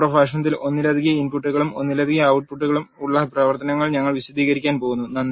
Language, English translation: Malayalam, In the next lecture we are going to explain the functions which are having multiple inputs and multiple outputs